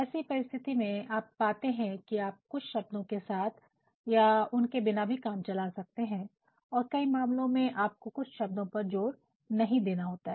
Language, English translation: Hindi, In such a situation you will find that you can do a bit with or without the use of a particular word in that case you also have to deemphasize certain words